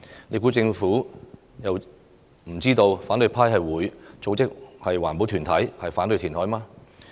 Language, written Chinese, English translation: Cantonese, 難道政府不知道反對派會組織環保團體反對填海嗎？, Did the Government not know that the opposition camp will mobilize environmental groups to oppose the reclamation?